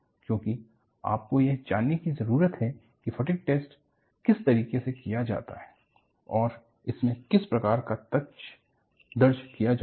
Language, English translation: Hindi, Because you need to know, what way the fatigue test is conducted and what kind of data is recorded